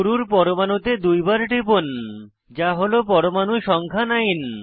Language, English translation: Bengali, First double click on the starting atom, which is atom number 9